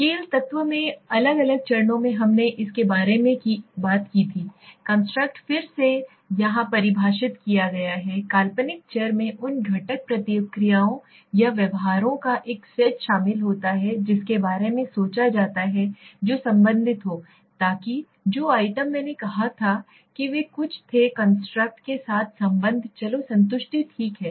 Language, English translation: Hindi, Different steps in the scale element we just spoke about it, construct has again defined here, a hypothetical variable comprise of a set of component responses or behaviors that are thought to be related please again this something I was saying, so that the items which I said they had some relationship with the construct let s say satisfaction okay